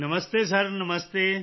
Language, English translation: Punjabi, Namaste Sir Namaste